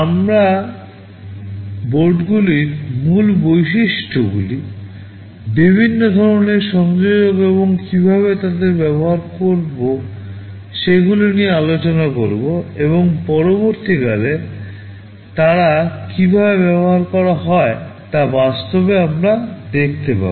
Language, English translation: Bengali, We shall be discussing the basic features of the boards, the different kind of connectors and how to use them, and subsequently we shall be seeing actually how they are put to use